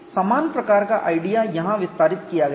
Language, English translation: Hindi, Similar idea is extended here